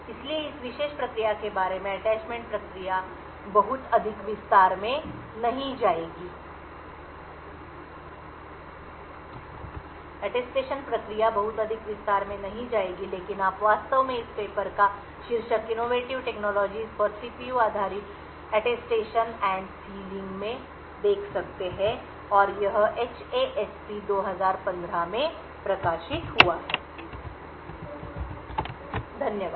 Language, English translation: Hindi, So, the Attestation process is will not go into too much detail about this particular process but you could actually look at this paper title Innovative Technologies for CPU based Attestation and Sealing and this was published in HASP 2015, thank you